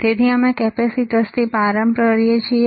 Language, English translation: Gujarati, So, we start with the capacitors